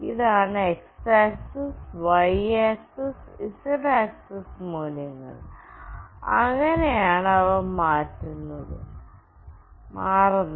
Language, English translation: Malayalam, This is the x axis, y axis and z axis values, this is how they are changing